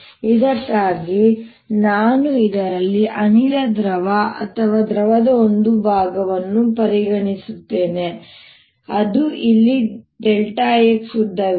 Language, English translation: Kannada, for this i consider a portion of gas or liquid in this which is here of length, delta x